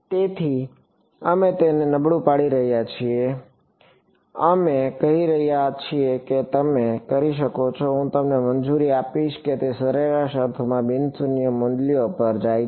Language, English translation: Gujarati, So, we are weakening it we are saying you can I will allow you too have it go to non zero values in a average sense